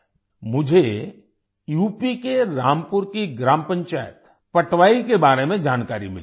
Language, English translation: Hindi, I have come to know about Gram Panchayat Patwai of Rampur in UP